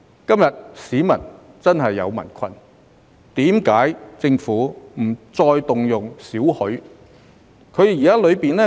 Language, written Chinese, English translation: Cantonese, 既然市民今天真的遇上困難，為何政府不能動用少許儲備紓困？, Since our people really encounter difficulties today why can the Government not use part of our reserves to relieve their hardship?